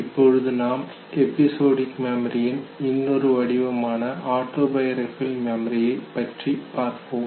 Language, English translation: Tamil, Let us now come to another form of episodic memory, what is called as autobiographical memory